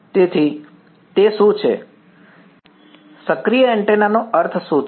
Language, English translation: Gujarati, So, what does that, what does active antenna mean